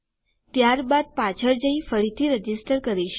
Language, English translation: Gujarati, Then I am going to go back and re register